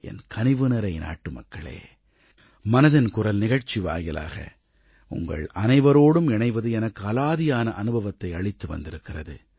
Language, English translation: Tamil, My dear countrymen, connecting with all of you, courtesy the 'Mann KiBaat' program has been a really wonderful experience for me